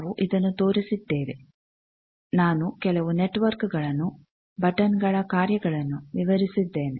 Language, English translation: Kannada, We have shown this, I also describe some of the network this functions of the buttons